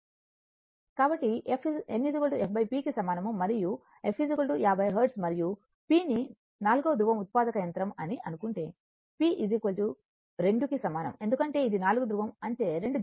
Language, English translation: Telugu, So, n is equal to then f by p and if f is equal to 50 Hertz and p is your what to call it is a 4 pole generator; that means, p is equal to 2 because it is four pole means 2 pairs